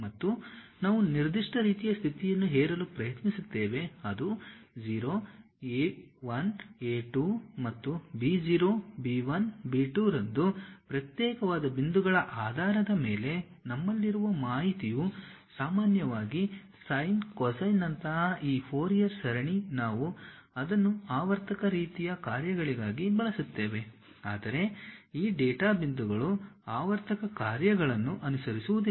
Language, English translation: Kannada, And, we try to impose certain kind of condition what should be that factor a0, a 1, a 2 and so on b0, b 1, b 2 based on the discrete points what we have information usually this Fourier series like sine cosine we use it for periodic kind of functions, but these data points may not follow a periodic functions